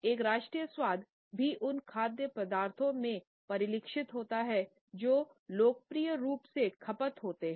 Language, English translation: Hindi, At the same time national tastes are also reflected in those food items which are popularly consumed